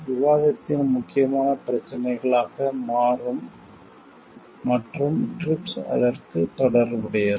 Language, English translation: Tamil, Becomes important issues discussion and TRIPS is related to that